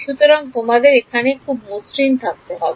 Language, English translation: Bengali, So, you should smooth over it